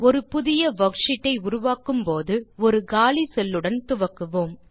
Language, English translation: Tamil, When we create a new worksheet, to start with we will have one empty cell